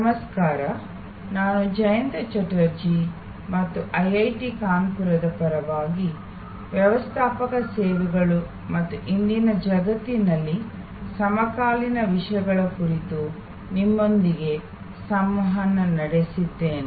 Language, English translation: Kannada, Hello, I am Jayanta Chatterjee and I am interacting with you on behalf of IIT Kanpur on Managing Services and contemporary issues in today's world